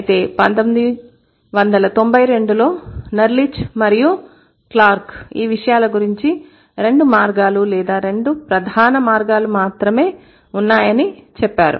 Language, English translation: Telugu, So, Nellish and Clark, 1992, they would say that there are only two ways or two main ways of going about that